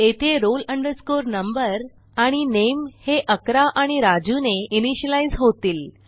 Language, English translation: Marathi, Here, roll number and name will be initialized to 11 and Raju